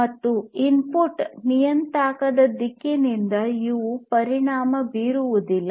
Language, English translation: Kannada, And these are not affected by the direction of the input parameter